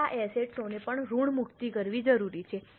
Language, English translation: Gujarati, Now these assets are also required to be amortized